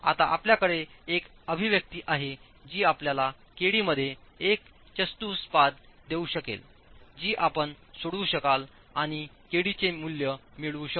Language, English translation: Marathi, So, we now have an expression that can give us a quadratic in KD which you can solve and get values for KD